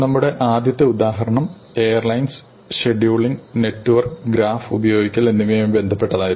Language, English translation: Malayalam, So, our first example was to do with airlines, scheduling, network and using a graph